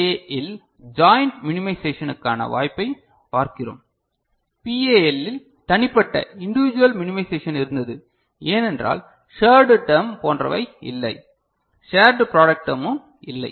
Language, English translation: Tamil, So, in PLA we are looking at possibility of joint minimization; in PAL individual minimization was there because of no shared term and all, shared product term ok